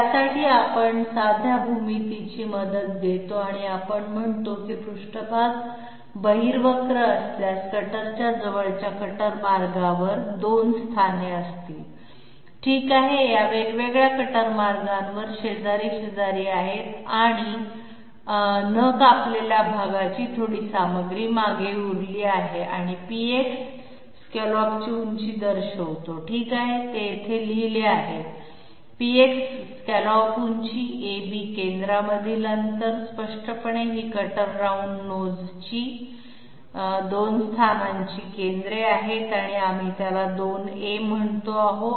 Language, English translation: Marathi, For that we take the help of simple geometry and we say that if the surface be convex, there will be 2 positions of the cutter on adjacent cutter paths okay, these are side by side on separate cutter paths and this is the small amount of material left behind uncut and PX determines denotes the height of the scallop okay it is written here, PX = scallop height, AB = distance between centres obviously these are the centres of the two positions of the cutter round nodes and we are calling it twice A and the sidestep however is the distance between the 2 cutter contact points at L and M and therefore, LM denotes the side steps